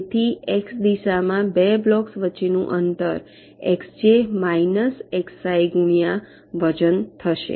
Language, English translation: Gujarati, so distance between the two blocks in the x direction will be xj minus xi multiplied by way weight